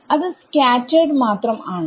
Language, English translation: Malayalam, So, this is scattered only